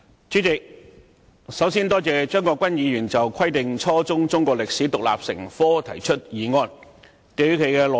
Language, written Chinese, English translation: Cantonese, 主席，首先，我多謝張國鈞議員就"規定初中中國歷史獨立成科"提出議案。, President first of all I thank Mr CHEUNG Kwok - kwan for moving the motion on Requiring the teaching of Chinese history as an independent subject at junior secondary level